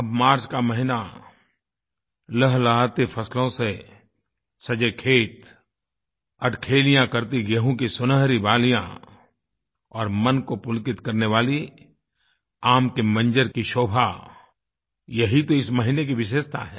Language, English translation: Hindi, And now the month of March beckons us with ripe crops in the fields, playful golden earrings of wheat and the captivating blossom of mango pleasing to the mind are the highlights of this month